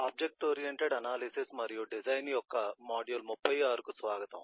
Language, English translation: Telugu, welcome to module 36 of object oriented analysis and design